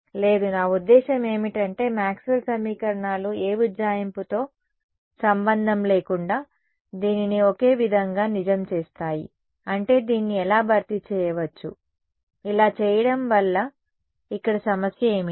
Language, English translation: Telugu, No, I mean I how can replace it meaning Maxwell’s equations makes this to be identically true regardless of any approximation, what is the problem here by doing this